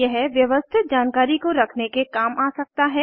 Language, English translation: Hindi, It can serve to keep information organized